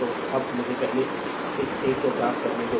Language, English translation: Hindi, So now let me first ah clean this one , right